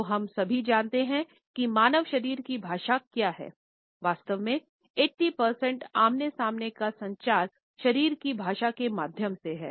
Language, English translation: Hindi, So, we all know what human body language is; often times up to 80 percent of face to face communication is really through body language